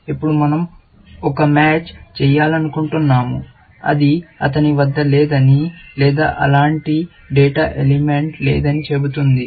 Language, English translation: Telugu, Now, we want to do a match, which says that he does not have, or such a data element, does not exist